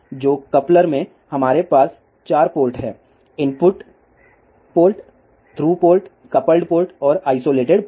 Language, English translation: Hindi, So, in coupler, we have 4 ports input port through port coupled port and isolated port